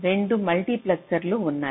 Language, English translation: Telugu, there are two multiplexors